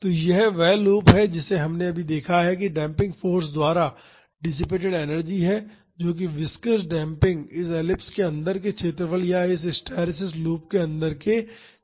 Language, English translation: Hindi, So, this is the loop we just saw energy dissipated by the damping force that is the viscous damping is equal to the area inside this ellipse or the area inside this hysteresis loop